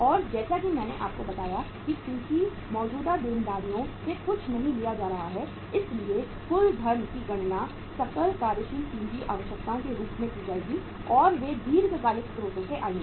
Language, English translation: Hindi, And as I told you since nothing is coming from the current liabilities so total funds will be calculated in the form of the gross working capital requirements and they will come from the long term sources